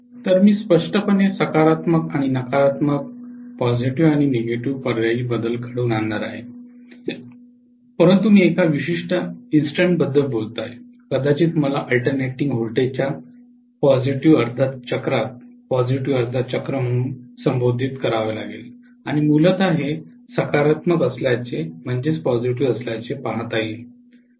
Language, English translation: Marathi, So I am going to have clearly the positive and negative alternating, but I am talking about one particular instant maybe let me call as the positive half cycle, during positive half cycle of the alternating voltage and essentially looking at this being positive